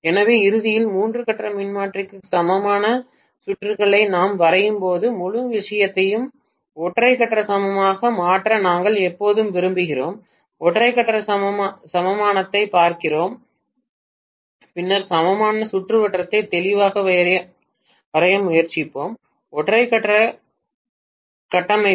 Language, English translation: Tamil, So ultimately, when we draw the equivalent circuit for a three phase transformer, we would always like to convert the whole thing into single phase equivalent, we look at single phase equivalent and then we will try to draw the equivalent circuit clearly in terms of single phase configuration